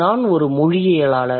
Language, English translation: Tamil, So, what do the linguists do